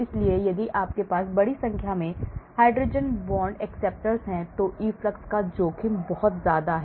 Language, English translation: Hindi, so if you have large number of hydrogen bond acceptors, the risk of efflux is very high